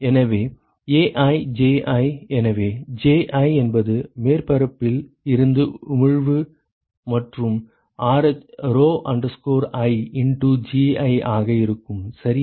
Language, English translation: Tamil, So, AiJi so Ji will be emission from the surface plus rho i into Gi ok